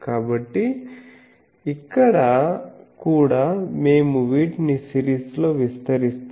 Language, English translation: Telugu, So, here we also say that we expand these in a series